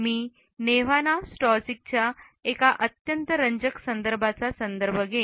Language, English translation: Marathi, I would refer to a very interesting article by Nevana Stajcic